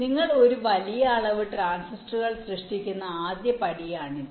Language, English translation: Malayalam, so the first step: you create a large number of transistors which are not connected